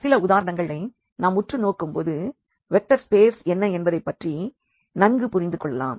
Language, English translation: Tamil, So, now we go through some of the examples where we will understand now better what is this vector space